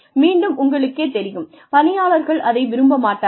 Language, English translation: Tamil, And again, you know, the employees will not like that